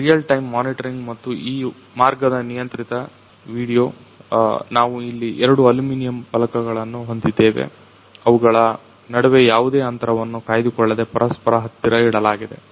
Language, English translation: Kannada, Real time monitoring and controlled video of this path, so we have here two aluminum plates which are being placed very close to each other without maintaining any gap between them